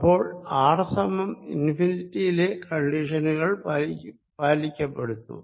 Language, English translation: Malayalam, so r equals infinity, condition anyway satisfied